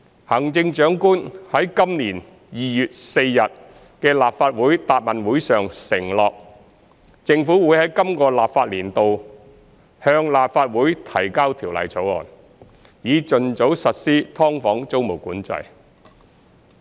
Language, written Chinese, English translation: Cantonese, 行政長官在今年2月4日的立法會答問會上承諾，政府會在今個立法年度向立法會提交條例草案，以盡早實施"劏房"租務管制。, At the Chief Executives Question and Answer Session of the Legislative Council on 4 February this year the Chief Executive undertook that the Government would introduce a bill into the Legislative Council in the current legislative session to implement tenancy control on subdivided units as soon as possible